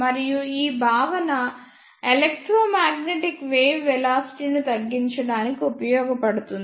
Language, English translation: Telugu, And this concept is used to reduce the velocity of electromagnetic wave